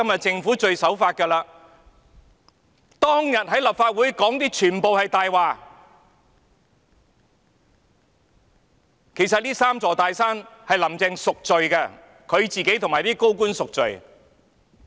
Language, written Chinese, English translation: Cantonese, 政府當天在立法會說的全是謊話，"林鄭"其實要為這"三座大山"贖罪，她自己和一眾高官也要贖罪。, What the Government told the Legislative Council back then was nothing but a lie . In fact Carrie LAM has to redeem the sin of creating these three big mountains . She and all senior officials have to redeem their sins